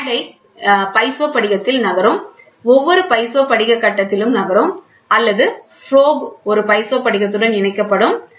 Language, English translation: Tamil, And here the stage will be moving in peizo crystal with every moving a peizo crystal stage or the probe will be attached to a peizo crystal